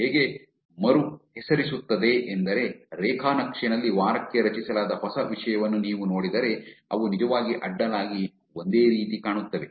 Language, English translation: Kannada, How this renames same is actually, if you see the new content that is generated per week on the graph, they actually seeing to be very same across